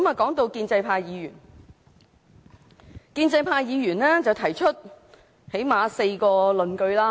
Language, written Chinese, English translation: Cantonese, 談到建制派議員，他們最低限度提出了4項論據。, The pro - establishment Members have at least put forward four arguments